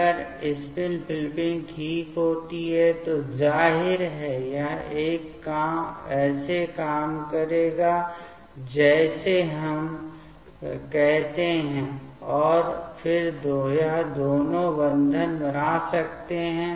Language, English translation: Hindi, If the spin flipping happens then obviously, this will work like let us say like this and then this two can make bond